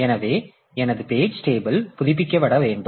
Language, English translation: Tamil, So, now my page table has to be updated